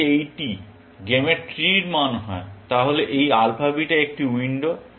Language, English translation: Bengali, If these are the values of the game three, then this alpha beta is a window